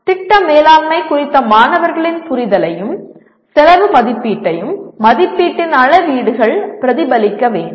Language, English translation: Tamil, The rubrics of evaluation should reflect the student’s understanding of the project management and estimation of cost